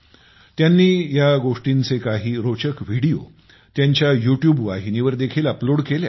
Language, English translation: Marathi, She has also uploaded some interesting videos of these stories on her YouTube channel